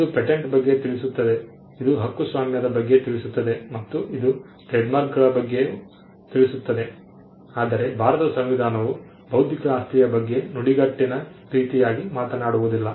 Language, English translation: Kannada, It talks about patents; it talks about copyright; it talks about trademarks, but the Constitution of India does not talk about intellectual property as a phrase itself